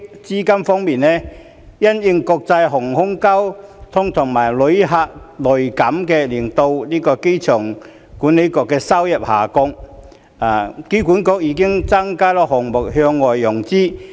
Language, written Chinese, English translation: Cantonese, 資金方面，因應國際航空交通和旅客量銳減令香港機場管理局的收入下降，機管局已增加了項目向外融資的比重。, As regards funding in the light of the drop in revenue of the Airport Authority Hong Kong AAHK due to international air traffic and passenger traffic slump AAHK had increased the proportion of external financings for the project